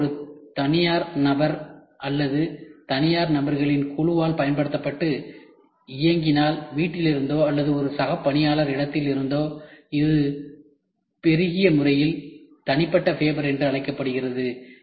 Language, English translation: Tamil, If the fabber is used by a private person or a group of private individuals and operated, from home or a co worker space it is increasingly called as personal fabber